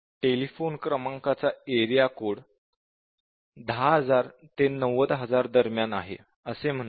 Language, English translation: Marathi, For example, let us say, the area code for a telephone number is value between 10000 and 90000